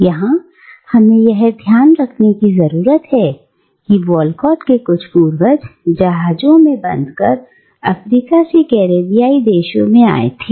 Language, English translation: Hindi, And here we need to remember that some of Walcott's own ancestors came to the Caribbeans from Africa, bound in slave ships